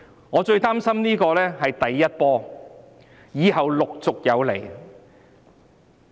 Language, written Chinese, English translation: Cantonese, 我最擔心的是這只是第一波，以後陸續有來。, What I worry most is that this is only the first wave with many to follow subsequently